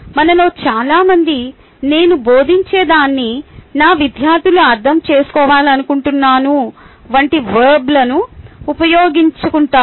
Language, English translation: Telugu, most of us tend to use the verbs, such as: i want my students to understand what i am teaching